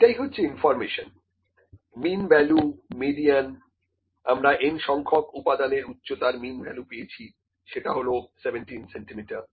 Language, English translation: Bengali, This is information mean value, median, we have the mean the mean value of the n number of components level of the height of n number of components is this is 17 centimetres, ok